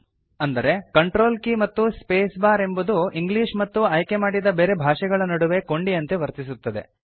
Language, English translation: Kannada, Thus CONTROL key plus space bar acts as a toggle between English and the other language selected